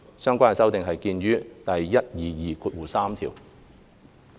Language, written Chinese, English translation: Cantonese, 相關修訂見於第1223條。, Please see clause 1223 for the relevant amendments